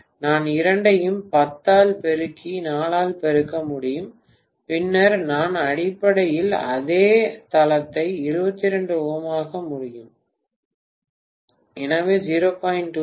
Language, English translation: Tamil, 5, I can multiply both of them by 10, no 4, I have to multiply by 4, then I will be able to get essentially the same base 22 ohms, so 0